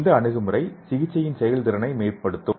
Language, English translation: Tamil, So that will enhance the therapeutic efficiency